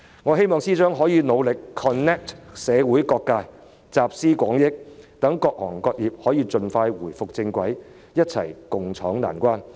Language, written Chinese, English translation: Cantonese, 我希望司長可以努力 connect 社會各界，集思廣益，讓各行各業得以盡快返回正軌，一起共渡難關。, I hope that the Financial Secretary can strive to connect with various social sectors and draw on collective wisdom so as to enable all industries to expeditiously return to the right track and tide them over this difficult period